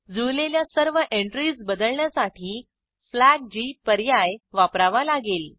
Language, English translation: Marathi, To substitute all the matched entries we need to use the flag g option